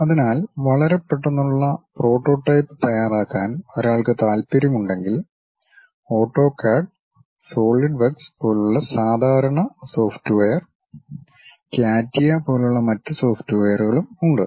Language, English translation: Malayalam, So, if one is interested in preparing very quick prototype, the typical softwares like AutoCAD and SolidWorks; there are other softwares also like CATIA